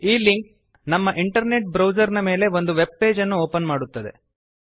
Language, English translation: Kannada, This link opens a web page on our internet browser